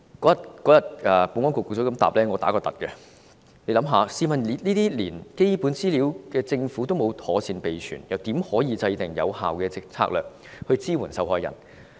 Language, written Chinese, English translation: Cantonese, 那天在得到保安局局長如此答覆後，我十分驚訝，試想想，政府連這些基本資料也沒有妥善備存，又怎可制訂有效的策略來支援受害人？, I was shocked to hear what the Secretary for Security said that day . Can you imagine how the Government can formulate effective strategies to support these victims if it has not maintained such basic figures?